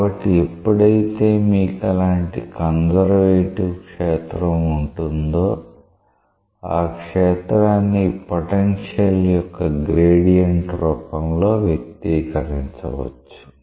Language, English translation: Telugu, So, whenever you have such a conservative field, the field is expressible in form of gradient of a potential